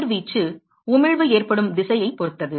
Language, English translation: Tamil, The radiation is also dependent on the direction at which the emission is occurring